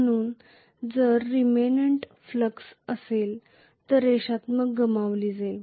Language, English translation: Marathi, So if there is a remnant flux, the linearity is lost